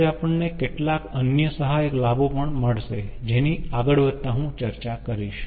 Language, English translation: Gujarati, probably we will get some auxiliary benefits also, which i will discuss as we proceed